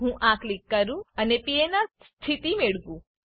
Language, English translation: Gujarati, Let me click this and get PNR status